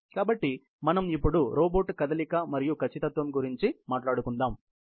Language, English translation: Telugu, So, we now talk about robot movement and precision